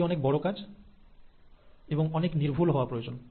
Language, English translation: Bengali, Now that is a lot of job and it requires a lot of precision